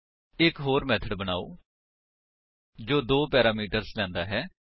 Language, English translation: Punjabi, Let us create another method which takes two parameters